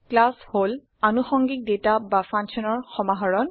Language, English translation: Assamese, A class is a collection of related data and functions